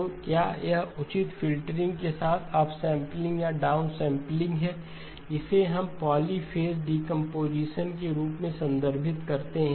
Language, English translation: Hindi, So whether it is upsampling or downsampling, with the appropriate filtering, this is what we refer to as polyphase decomposition